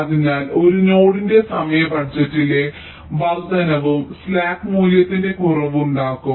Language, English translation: Malayalam, ok, so increase in the time budget of a node will also cause a decrease in the slack value